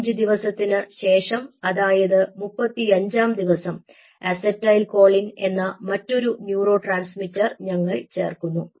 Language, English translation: Malayalam, you know, kind of, you know, after five days, which is on a thirty, fifth day, we add another neurotransmitter which is acetylcholine